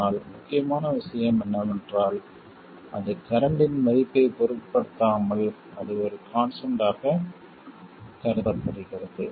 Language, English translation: Tamil, But the important thing is that it is assumed to be a constant regardless of the value of current